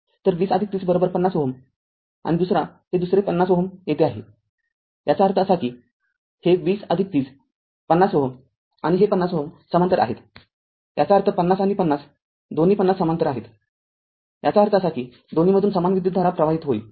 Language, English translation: Marathi, So, 20 plus 30 is equal to 50 ohm right and the another and this another 50 ohm is here; that means, this 20 plus 30 50 ohm and this 50 ohm they are in parallel; that means, 50 and 50 both 50 are in parallel; that means, equal amount of current will flow through both